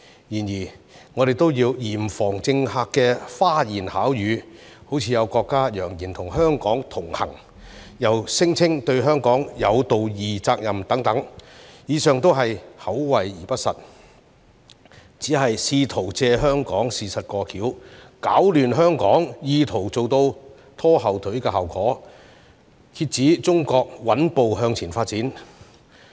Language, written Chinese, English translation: Cantonese, 然而，我們都要嚴防政客的花言巧語，例如有國家揚言與香港同行，又聲稱對香港有道義責任等，以上都是口惠而不實，只是試圖藉香港事務"過橋"，攪亂香港，意圖做到拖後腿的效果，遏止中國穩步向前發展。, For example some countries have vowed to stand with Hong Kong people and claimed that they have a moral obligation to Hong Kong . These are all but empty words intended to use Hong Kongs affairs as a pretext to stir up chaos in Hong Kong to achieve the purpose of holding back Chinas steady development